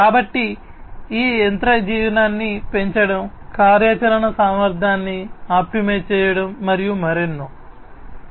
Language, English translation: Telugu, So, on increasing the machine life, optimizing the operational efficiency, and many others